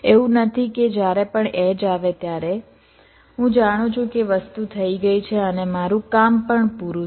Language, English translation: Gujarati, it is not that whenever the edge comes, i know that the think as happen and i am done